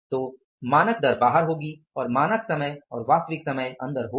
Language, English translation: Hindi, So standard rate will be outside and the standard time and the actual time will be inside